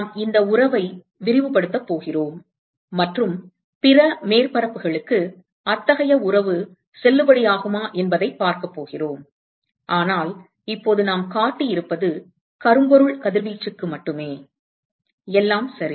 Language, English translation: Tamil, We are going to extend this relationship and see what is the validity of such a relationship for other surfaces, but right now what we have shown is only for that of a blackbody radiation all right